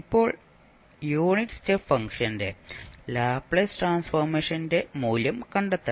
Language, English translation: Malayalam, Now, what we have to do we have to find out the value of the Laplace transform of unit step function